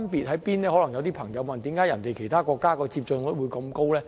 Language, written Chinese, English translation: Cantonese, 可能有些人會問，為甚麼其他國家的接種率這麼高？, Perhaps some people will ask why the vaccination rates in other countries can be so high